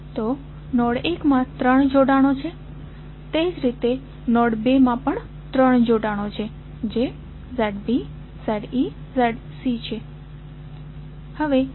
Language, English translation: Gujarati, So, node 1 has three connections, similarly node 2 also have three connections that is Z B, Z E, Z C